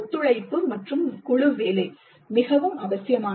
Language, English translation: Tamil, Collaboration and group work is very essential